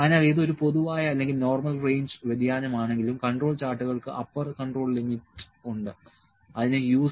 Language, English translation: Malayalam, So, whether it is a common or normal range of variation the control charts has upper control limit it has U